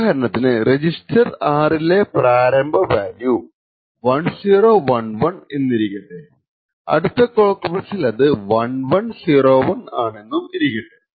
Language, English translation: Malayalam, So, for example over here let us say that the initial value of R is 1011 and in the next clock pulse the register changes to the value of 1101